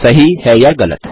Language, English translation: Hindi, Is True or False